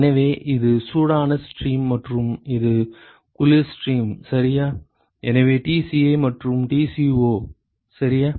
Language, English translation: Tamil, So, this is the hot stream and this is the cold stream ok, so Tci and Tco, ok